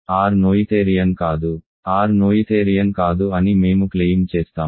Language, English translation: Telugu, We claim that R is not noetherian, R is not noetherian